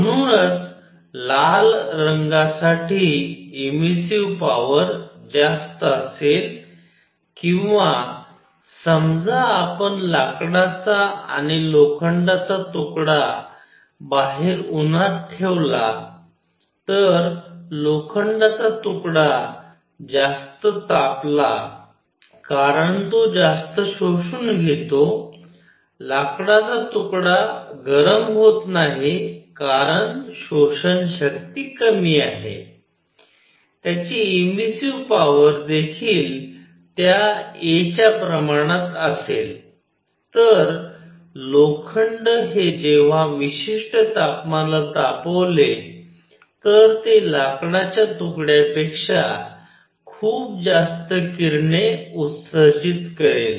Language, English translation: Marathi, So, emissive power for red color would be more or suppose you put a piece of wood and iron outside in the sun, the iron piece becomes hotter because it absorbs more, wood piece does not get that hot because absorption power is low; their emissive power will also be proportional to that a